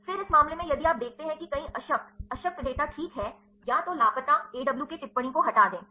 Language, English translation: Hindi, Then in this case also if you see there are many null null data ok, either remove missing AWK comment